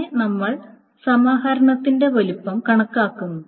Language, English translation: Malayalam, Then we can see this estimate the size of aggregation